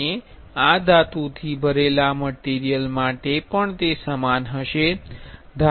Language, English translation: Gujarati, And this will be similar for metal filled material also